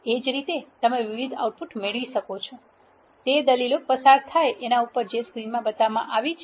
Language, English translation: Gujarati, Similarly you can get the outputs are different arguments which are passed which are shown in the screen